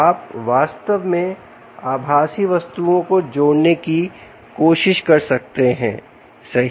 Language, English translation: Hindi, you could actually be even trying to connect virtual objects, right